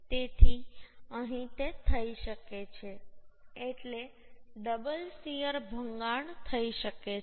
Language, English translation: Gujarati, So here it may happen, means double shear failure may happen